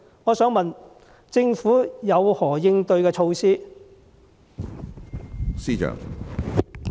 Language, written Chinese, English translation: Cantonese, 我想問政府有何應對措施？, May I ask the Government what countermeasures it has?